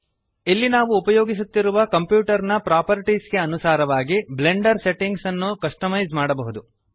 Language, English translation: Kannada, Here we can customize the Blender settings according to the properties of the computer we are using